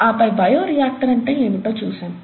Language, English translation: Telugu, And then, we looked at what a bioreactor was